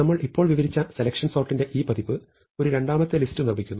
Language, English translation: Malayalam, Now, this version of selection sort that we just described, builds a second list